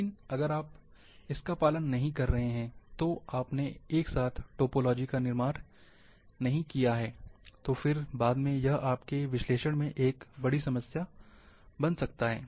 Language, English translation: Hindi, But if you are not following that, not constructing topology simultaneously, then this can become a big problem later on, in your analysis